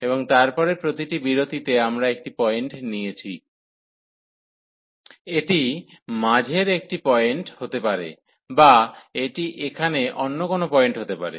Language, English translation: Bengali, And then in each interval we have taken a point, it could be a middle point or it can be any other point here